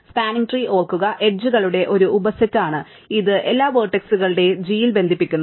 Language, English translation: Malayalam, Spanning tree, remember is a sub set of the edges which connects all the vertices in G